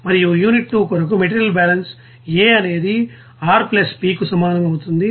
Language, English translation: Telugu, And for unit 2 that material balance will be balance A will be equals to R + P